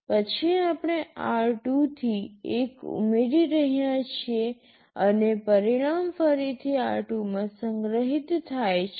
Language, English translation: Gujarati, Then we are adding r2 to 1 and the result is stored back into r2